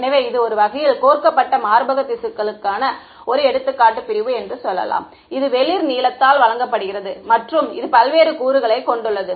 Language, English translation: Tamil, So, this is an example just sort of cooked up example of a cross section of let us say breast tissue, which is given by light blue and it has various components ok